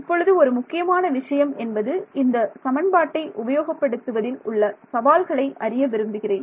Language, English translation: Tamil, Now one of the main things that I want to sort of challenge in this section is our use of this equation